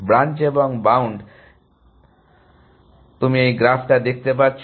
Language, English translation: Bengali, So, you are looking at this graph